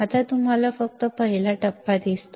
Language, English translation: Marathi, Now, you see just stage one